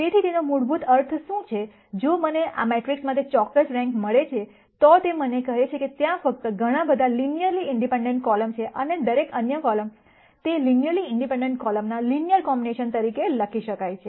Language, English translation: Gujarati, So, what that basically means is, if I get a certain rank for this matrix, then it tells me there are only so many linearly independent columns and every other column, can be written as a linear combination of those independent columns